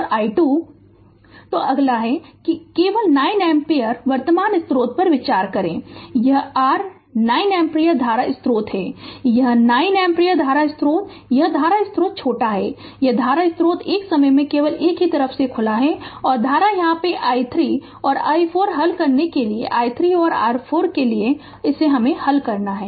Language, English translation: Hindi, So, next one is next one is that you consider only 9 ampere current source, this is your 9 ampere current source right; this 9 ampere current source and this voltage source is shorted and this current source is open only one at a time and current is here i 3 and i 4 you solve for you have to solve for i 3 and i 4